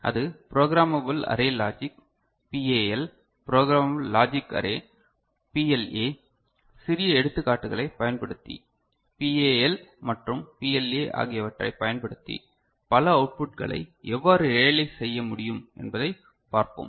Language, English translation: Tamil, So, that is Programmable Array Logic PAL, Programmable Logic Array PLA, we shall see how multiple outputs can be realized using PAL and PLA using small examples